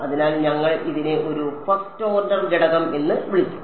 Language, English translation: Malayalam, So, we will call this a first order element